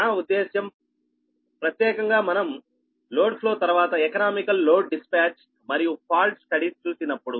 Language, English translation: Telugu, so if you, i mean, particularly when we will come, load flow, then economical, economical load dispatch and falls studies, right